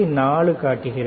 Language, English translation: Tamil, So, you can see 2